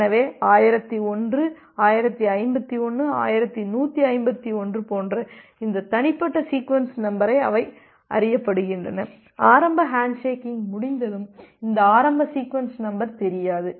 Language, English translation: Tamil, So, this individual sequence number like 1001, 1051, 1151 they are known, once this initial hand shaking is done, but this initial sequence number it is unknown